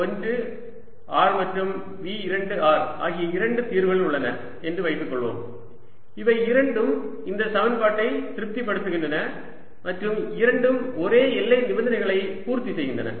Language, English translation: Tamil, let us assume there are two solutions: v one, r and v two are both satisfying this equation and both satisfying the same boundary conditions